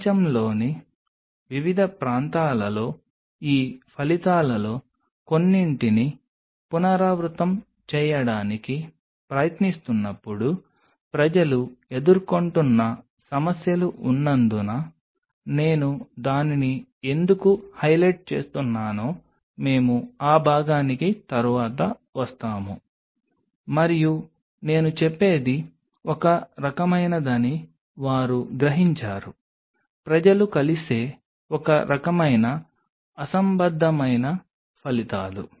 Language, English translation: Telugu, We will come later into that part why I am highlighting that because there are issues which are being faced by people while trying to repeat some of these results in different parts of the world and then they realize that it is kind of what I should say it is kind of very incisive incoherent results which people meet